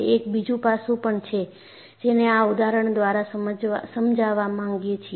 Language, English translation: Gujarati, There is also another aspect that is sought to be explained through this example